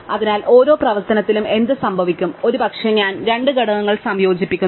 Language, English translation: Malayalam, So, what can happen in each operation, perhaps I combine two elements, right